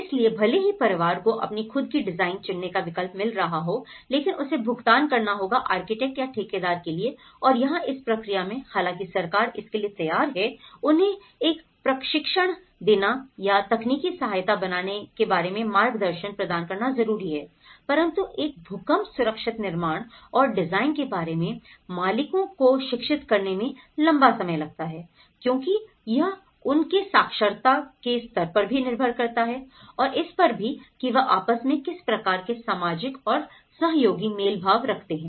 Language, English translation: Hindi, So, even though the family is getting an option to choose their own design but he has to pay for the architect or the contractor and here, in this process, though the government is ready to give them a training or provide guidance on how to build a technical support, so but it takes a long time to educate the owners about earthquake safe constructions and design because it depends on their literacy levels, depends on the social and cooperation, how they come in negotiation